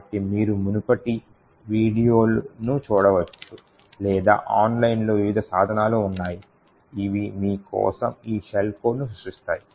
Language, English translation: Telugu, So, you could look at the previous video or there are various tools online which would create these shell code for you